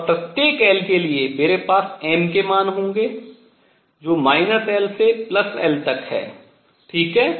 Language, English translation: Hindi, And for each l for each l, I will have m values which are from minus l to l right